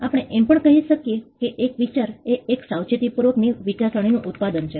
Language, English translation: Gujarati, We could also say that an idea is product of a careful thinking